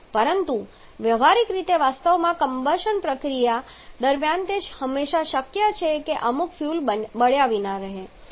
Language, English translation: Gujarati, But practically during the actual combustion process it is always possible that some fuel may get unburned